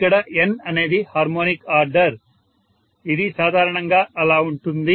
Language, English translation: Telugu, Where N is the harmonic order that is how it is normally